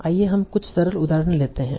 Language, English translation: Hindi, So let us take some simple example